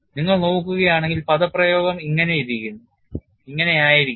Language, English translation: Malayalam, And if you look at the expression would be like this